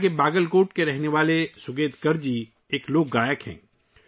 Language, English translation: Urdu, Sugatkar ji, resident of Bagalkot here, is a folk singer